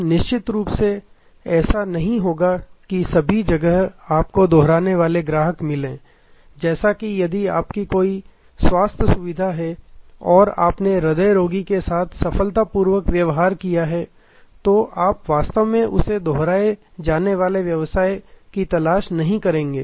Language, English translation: Hindi, Now, of course, it is not that every where you want this repeat customer, like if a, your healthcare facility and you have successfully dealt with a cardiac patient, you are not really looking for a repeat business from that